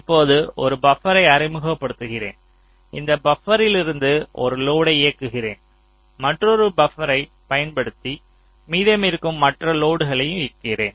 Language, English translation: Tamil, now suppose i introduce a buffer and from that buffer i am driving one of the loads and i use another buffer i am using driving another load that the other load